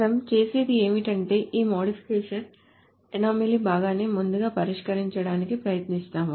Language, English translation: Telugu, So what we will do is we will try to tackle this modification anomaly part first